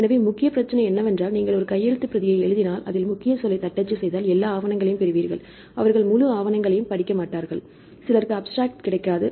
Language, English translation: Tamil, So, main problem is currently if you write a manuscript just you type the keyword, get all the papers, they do not read the full paper, some people they do not get the abstract also right